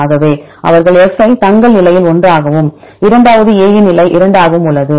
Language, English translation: Tamil, So, they put F they put in their position 1 and the second one is A is in position 2